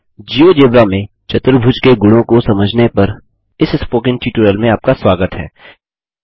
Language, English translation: Hindi, Welcome to this tutorial on Understanding Quadrilaterals Properties in Geogebra